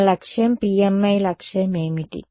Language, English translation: Telugu, Our goal is what is the goal of PMI